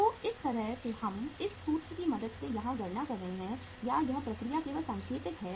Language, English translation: Hindi, So this this how we are calculating here with the help of this formula or this process this is only indicative